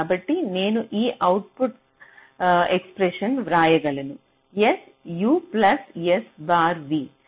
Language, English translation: Telugu, so i can write the output expression like this: s u plus s bar v